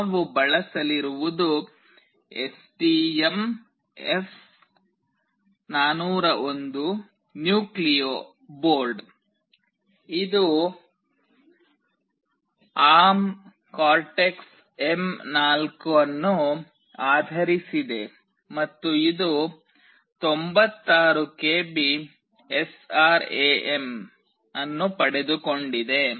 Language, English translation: Kannada, The one we will be using is STM32F401 Nucleo board, it is based on ARM Cortex M4, and it has got 96 KB of SRAM